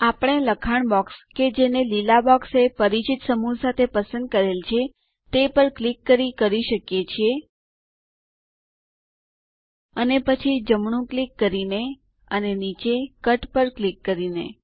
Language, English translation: Gujarati, We can do this by clicking on the text box which selects it with the familiar set of green boxes, And then by right clicking and clicking on Cut at the bottom